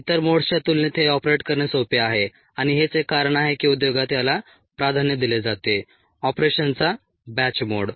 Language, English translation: Marathi, it is easy to operate compare to the other modes, and that is one of the reasons why it is preferred in the industry, the batch mode of operation